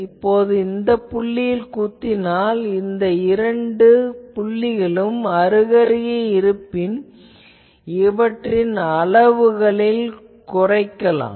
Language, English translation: Tamil, Now, I pin it again another point so, if these 2 points are nearby then I can make the level go down